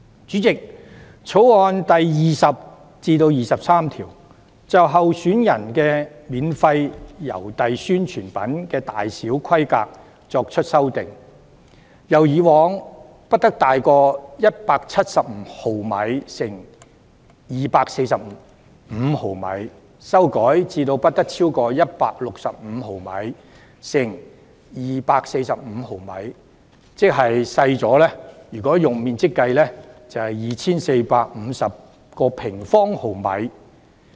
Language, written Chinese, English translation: Cantonese, 主席，《條例草案》第20至23條就候選人的免費郵遞宣傳品的大小規格作出修訂，由以往不得超過175毫米乘245毫米，修改至不得超過165毫米乘245毫米。若以面積計算，即是減少了 2,450 平方毫米。, Chairman clauses 20 to 23 of the Bill introduce amendments to the size and dimension of the publicity materials for which free postage service is offered to the candidates from not larger than 175 mm x 245 mm in the past to not larger than 165 mm x 245 mm thereby amounting to a reduction of 2 450 sq mm in terms of area